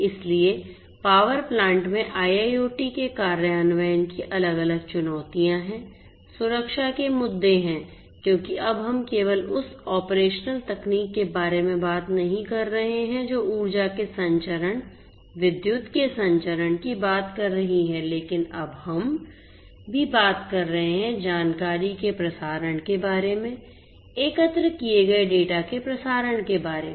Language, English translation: Hindi, So, there are different challenges of implementation of IIoT in a power plant, there are security issues because now we are not just talking about the operational technology that has been existing the transmission of energy, the transmission of electricity, but now we are also talking about transmission of information, transmission of data that is collected